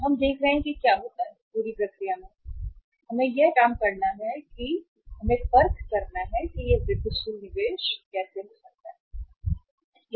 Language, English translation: Hindi, So we will see that what happens with the say entire this process and we will have to work out that how this incremental investment can make the difference